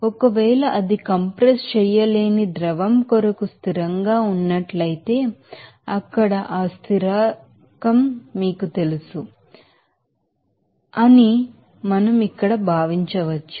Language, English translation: Telugu, If it is constant for incompressible fluid we can simply then consider that here to be you know that v you know that it will be you know that constant there